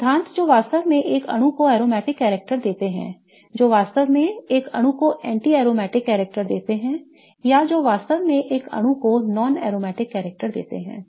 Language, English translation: Hindi, And what chemist thought was to come up with a theory of what are the fundamental principles that really give a molecule aromatic character that really give a molecule anti aromatic character or that really give a molecule is non aromatic character